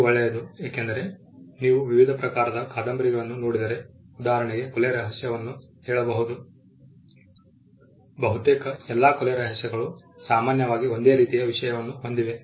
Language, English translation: Kannada, This is a good thing because, if you look at various genres of novels say for instance murder mystery almost all murder mysteries have a similar theme to follow